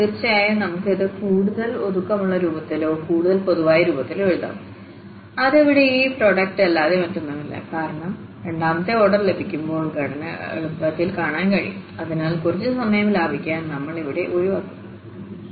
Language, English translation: Malayalam, Indeed, this L 1 L 0 we can write in a more compact form or more general form that Li is nothing but this product here because when we derive the second order, we can see the structure easily so, we are avoiding here, just to save some time